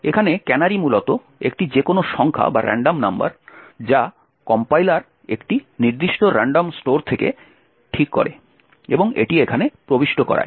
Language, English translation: Bengali, Now a canary is essentially a random number which the compiler fix from a particular random store and inserts it over here